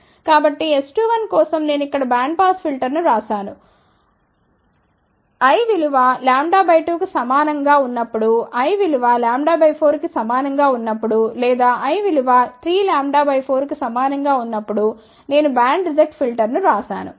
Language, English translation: Telugu, So, for S 2 1 I have written here bandpass filter, when l is equal to a lambda by 2, I have written here band reject filter, when l is equal to lambda by 4 or when l is equal to 3 lambda by 4